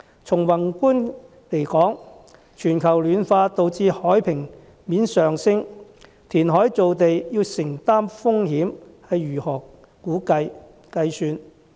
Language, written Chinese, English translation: Cantonese, 從宏觀來說，全球暖化導致海平面上升，填海造地要承擔的風險如何估算？, From a macro point of view global warming causes a rise in sea level . How should we estimate the risk associated with reclamation?